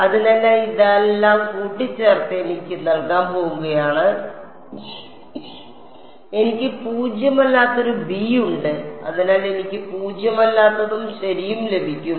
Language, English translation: Malayalam, So, all of this put together is going to give me A U is equal to b and I have a non zero b therefore, I will get a non zero u also right